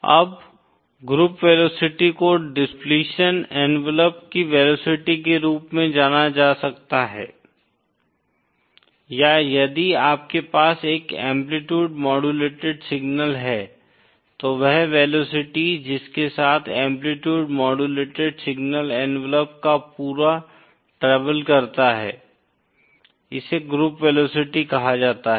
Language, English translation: Hindi, Now group velocity can be considered as a velocity of depletion envelope or if you have an amplitude modulated signal, then the velocity with which the entire envelope of the amplitude modulated signal travels that is called as the group velocity